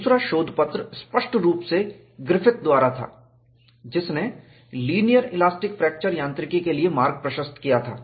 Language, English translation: Hindi, These two papers were considered as fundamental ones for linear elastic fracture mechanics